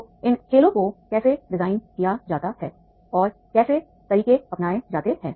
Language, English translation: Hindi, So how these games are designed and methodologies are adopted